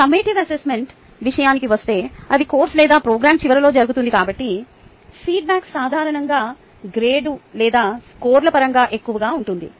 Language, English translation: Telugu, when it comes to summative assessment summative assessment, since it happens at the end of the course, or ah um program, its ah feedback is usually more in terms of grades or the scores